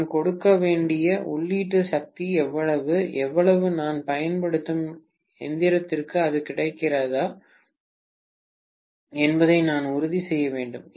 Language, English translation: Tamil, How much is the input power I have to give and how much of the cooling that I have to make sure that is available for the apparatus that I am using, right